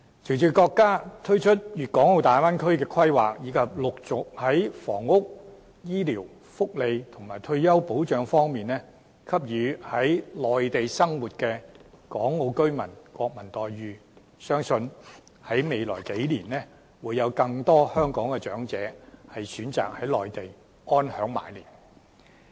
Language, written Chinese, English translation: Cantonese, 隨着國家推出粵港澳大灣區規劃，以及陸續在房屋、醫療、福利和退休保障方面，給予在內地生活的港澳居民"國民待遇"，相信未來數年會有更多香港長者選擇在內地安享晚年。, With the launch of the planning of the Guangdong - Hong Kong - Macao Bay Area our country has progressively offered national treatments to Hong Kong and Macao residents living on the Mainland in respect of housing medical care social welfare and retirement protection . We believe more and more Hong Kong elderly people will choose to retire on the Mainland